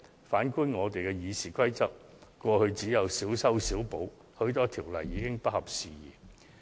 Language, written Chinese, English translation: Cantonese, 反觀我們的《議事規則》在過去只曾作出小修小補，許多條文已不合時宜。, On the contrary only minor amendments were introduced to the RoP of this Council over the years and quite a lot of the rules have become out of date